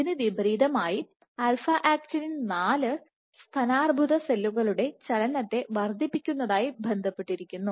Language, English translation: Malayalam, In contrast alpha actinin 4 is associated with enhanced motility of breast cancer cells